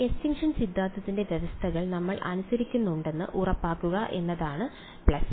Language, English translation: Malayalam, So, the plus and minus is to make sure that we obey the conditions of extinction theorem ok